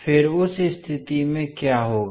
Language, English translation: Hindi, Then in that case what will happen